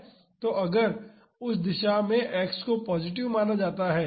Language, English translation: Hindi, So, if X is considered positive in that direction